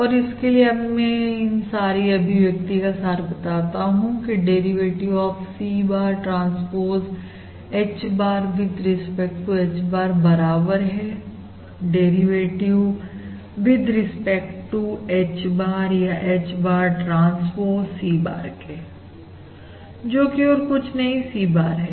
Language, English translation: Hindi, And therefore now I summarise this set of relations as the derivative of C bar transpose H bar with respect to H bar equals the derivative with respect to H bar, or H bar transpose C bar, and that is basically your and that is basically nothing but your C bar